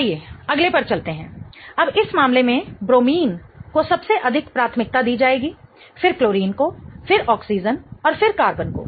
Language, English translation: Hindi, Now in this case, bromine will get the highest priority then chlorine, then oxygen and then carbon